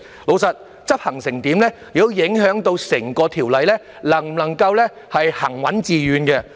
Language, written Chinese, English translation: Cantonese, 老實說，執行得怎樣亦會影響整項《條例草案》能否行穩致遠。, To be candid how it is enforced will also affect whether the entire Bill can be steadfast and successful or not